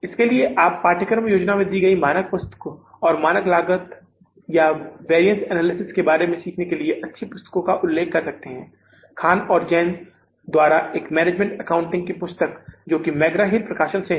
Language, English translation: Hindi, For this, you can refer to the standard books I have given in the course plan and the good book for learning about the standard costing or the variance analysis is a management accounting book by Khanan Jent and that is a Megrahill publication